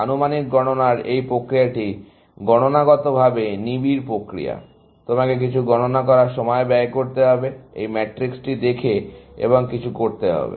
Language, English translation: Bengali, process, in the sense, you have to spend some computation time, looking at this matrix and doing something